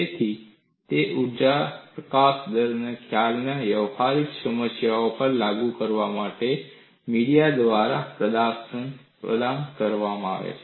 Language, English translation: Gujarati, So, it provides the via media to apply the concept of energy release rate to practical problems